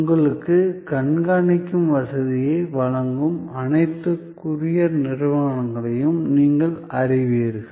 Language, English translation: Tamil, So, that is you know all courier companies they providing you tracking facility